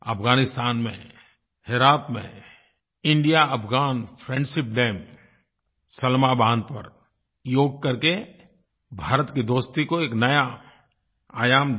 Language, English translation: Hindi, In Herat, in Afghanistan, on the India Afghan Friendship Dam, Salma Dam, Yoga added a new aspect to India's friendship